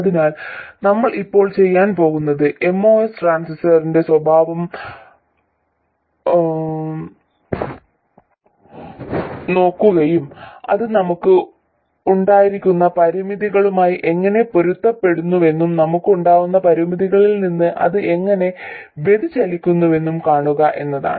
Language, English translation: Malayalam, So what we are going to do now is to look at the characteristics of the most transistor and see how it conforms to the constraints we had and also how it deviates from the constraints we had